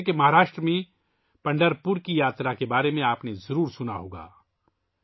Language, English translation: Urdu, As you must have heard about the Yatra of Pandharpur in Maharashtra…